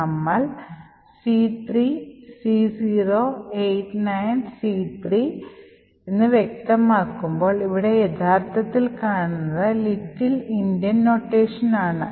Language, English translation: Malayalam, So, therefore, when we specify C3C089C3 what we actually see here is little Endian notation for the same